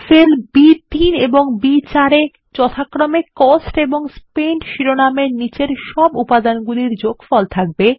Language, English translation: Bengali, The cells B3 and B4 will have the total balance under the heading COST and SPENT, which we calculated in Sheet 1